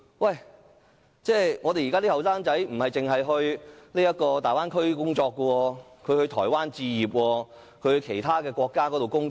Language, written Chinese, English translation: Cantonese, 然而，我們的年輕人不但可前往大灣區工作，也可到台灣置業或其他國家工作。, Yet apart from working in the Bay Area our young people may also buy properties in Taiwan or work in other countries